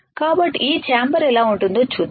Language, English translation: Telugu, So, let us see how this chamber looks like